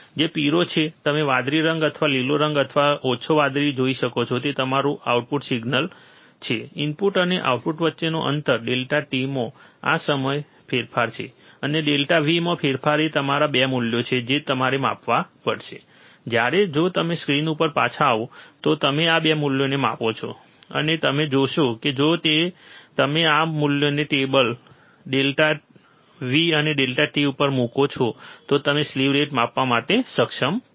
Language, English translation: Gujarati, Which is yellow, you can see blue colour or greenish colour or light blue that is your output signal is a lag between input and output, this change in delta t, and change in delta V is your 2 values that you have to measure, when you measure these 2 values, if you come back to the screen, and you will see that if you put this value substitute this value onto the table delta V and delta t you are able to measure the slew rate